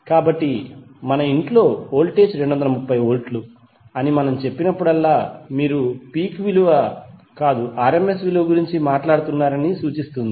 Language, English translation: Telugu, So whenever we say that the voltage in our house is 230 volts it implies that you are talking about the rms value not the peak value